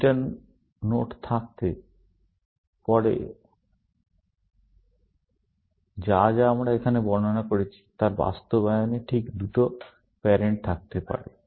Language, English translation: Bengali, Beta nodes may have or in the implementation that we have described here, have exactly two parents